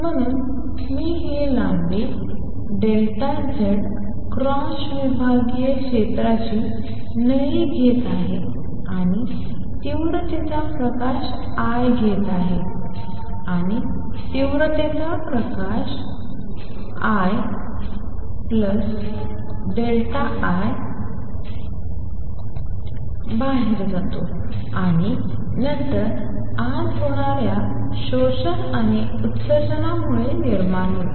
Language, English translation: Marathi, So, I am taking this tube of length delta Z cross sectional area a and light of intensity I is coming in and light of intensity I plus delta I goes out, and the difference arises from the absorption and emission taking place inside